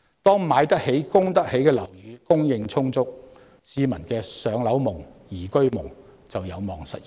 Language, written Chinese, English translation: Cantonese, 當"買得起、供得起"的樓宇供應充足，市民的"上樓夢"、"宜居夢"便有望實現。, When there is an abundant supply of affordable properties people can realize their dreams of home ownership and better living